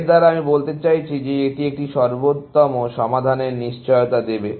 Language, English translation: Bengali, By that, I mean that it will guarantee an optimal solution, essentially